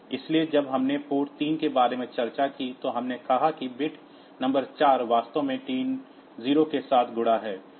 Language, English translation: Hindi, So, when we discussed about the port 3, we said that bit number 4 is actually multiplexed with T 0